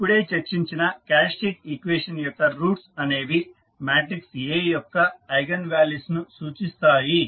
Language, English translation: Telugu, So, the roots of the characteristic equation which we just discuss are refer to as the eigenvalues of the matrix A